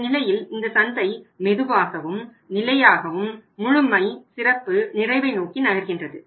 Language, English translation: Tamil, In that case this market is also moving slowly and steadily towards perfection, excellence and completion